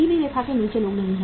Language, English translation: Hindi, No below poverty line people